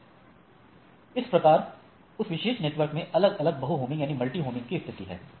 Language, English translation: Hindi, Then that particular network has different multi homing things